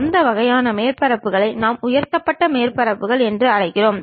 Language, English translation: Tamil, That kind of surfaces what we call lofted surfaces